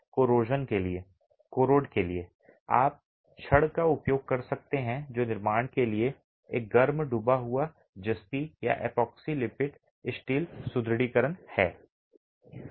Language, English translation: Hindi, You could use rods that are hot dip galvanized or epoxy coated steel reinforcement for the construction